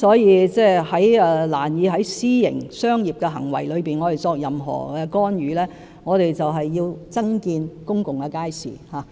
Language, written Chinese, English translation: Cantonese, 我們難以對私營商業行為作任何干預，所以我們要增建公共街市。, It is difficult for us to make any intervention in commercial activities in the private sector and this is why we have to build more public markets